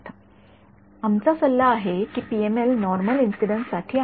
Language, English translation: Marathi, We could advice that PML is for the normal incidence